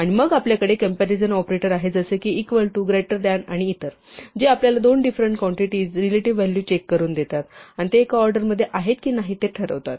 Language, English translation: Marathi, And then we have these comparison operators equal to, greater than and so on, which allows us to check the relative values of two different quantities, and decide whether they are in some order with each other